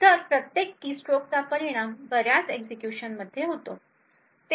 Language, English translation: Marathi, So, each keystroke results in a lot of execution that takes place